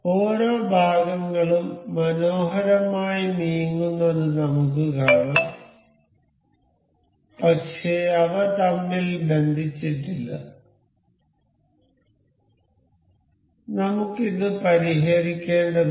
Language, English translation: Malayalam, You can see each of the parts nicely moving, but they are not connected to each other, we have still got to fix this